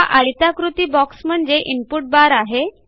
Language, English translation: Marathi, This rectangular box here is the input bar